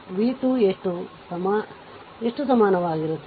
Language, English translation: Kannada, And v 2 is equal to how much